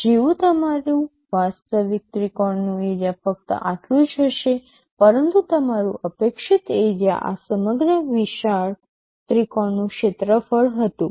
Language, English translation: Gujarati, Like your actual triangle area will be only this much, but your expected area was the area of this whole larger triangle